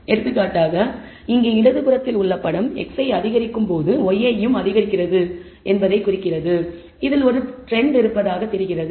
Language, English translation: Tamil, For example, the figure on the left here indicates that the y i increases as x i increases there seems to be a trend in this